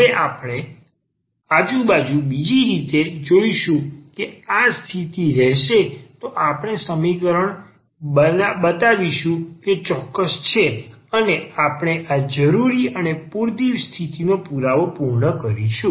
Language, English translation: Gujarati, And now we will look the other way around, that if this condition holds then we will show that the equation is exact and that we will complete the proof of this necessary and sufficient condition